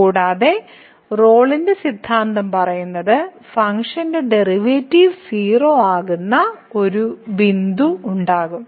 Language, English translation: Malayalam, And the Rolle’s theorem says that the there will be a point where the function will be the derivative of the function will be